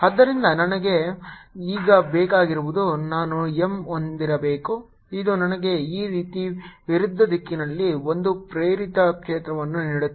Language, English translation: Kannada, so what we want now, that i should have an m that gives me an induced field in the opposite direction, like this